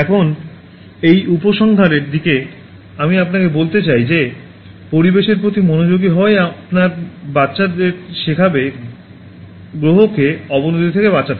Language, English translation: Bengali, Now, towards the conclusion I would like to tell you that being considerate to the environment it is the best way to teach your children to save the planet from deterioration